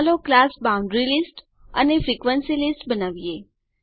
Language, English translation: Gujarati, Let us create the class boundary list and the frequency list